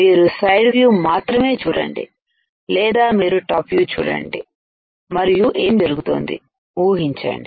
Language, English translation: Telugu, You have to just see the side view or you can see the top view and guess what is going on